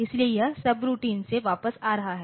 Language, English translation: Hindi, So, it is coming back from the subroutine